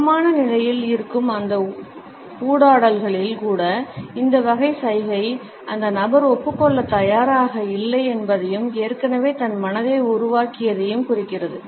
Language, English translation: Tamil, Even in those interactants who are on an equal footing, this type of gesture indicates that the person is not willing to concede and has already made up his or her mind